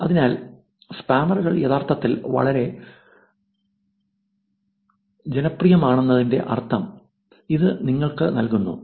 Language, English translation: Malayalam, So, that gives you sense of you know the spammers are actually very popular alright